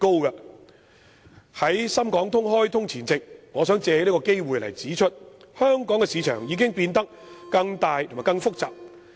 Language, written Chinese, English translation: Cantonese, 在深港通開通前夕，我想借此機會指出，香港市場已經變得更大及更複雜。, On the eve of launching the Sz - HK Stock Connect I wish to take this opportunity to point out that the Hong Kong market is increasing both in size and complexity